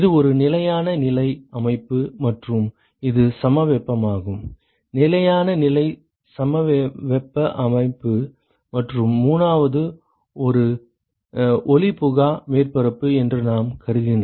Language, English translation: Tamil, It is a steady state system and it is isothermal; steady state isothermal system and the 3rd one is if we assume that it is a opaque surface